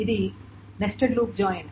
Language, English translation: Telugu, So this is the nested loop join